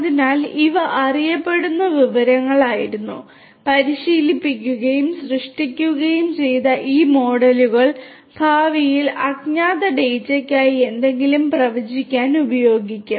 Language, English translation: Malayalam, So, these were known data these models that have been trained and created will be used to predict something in the future for unknown data